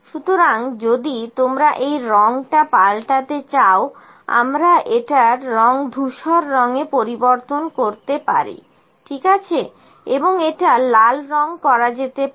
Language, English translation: Bengali, So, if you like to change this colour we can change this colour to the gray only, ok, and this can be coloured maybe red, ok